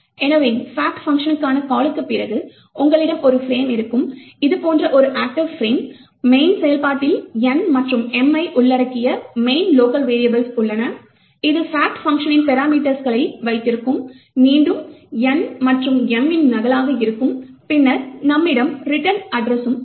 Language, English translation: Tamil, So therefore after the call to the fact function, you would have a frame, an active frame which looks like this, there are the main the locals of the main function that is comprising of N and M, you would have a parameters to the fact function, which here again would be a copy of N and M, and then you would have the return address